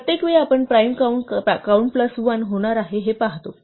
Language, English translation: Marathi, Every time we see a prime count is going to become count plus 1